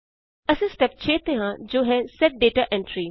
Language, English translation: Punjabi, We are on Step 6 that says Set Data Entry